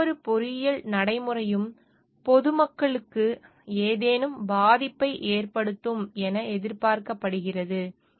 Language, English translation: Tamil, In case, any engineering practice is expected to cause any harm to the public at large